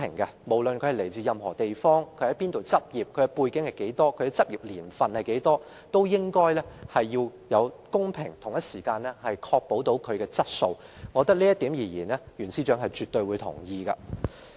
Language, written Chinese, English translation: Cantonese, 換言之，不論申請人來自何地、在何處執業、有何背景及執業年期是多少，律師會不但會公平處理，也要確保質素，而我想這也是袁司長絕對同意的。, In other words regardless of the place of origin place of previous practice background and years of practice of the applicants Law Society will not only handle their applications fairly but also ensure the quality of their services . I think Secretary for Justice Rimsky YUEN will definitely agree with me